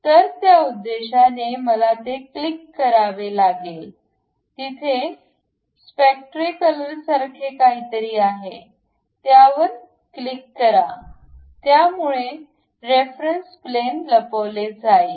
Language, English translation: Marathi, So, for that purpose I have to click that; there is something like a spectacles, click that, reference plane will be hided